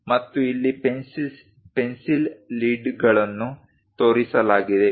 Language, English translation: Kannada, And here the pencil leads are shown